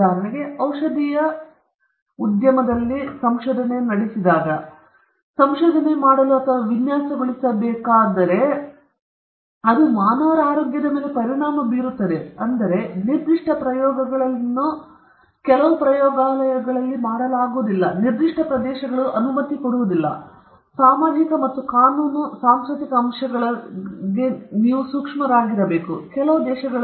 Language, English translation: Kannada, Say, for example, a research in the pharmaceutical industry, the medicine which is going to be invented or designed will have implications on the health of all human beings in the globe, so, in that sense, but certain experiments cannot be conducted in certain areas, and one has to be sensitive towards the cultural aspects then social and legal; certain countriesÉ Law will be different in different countries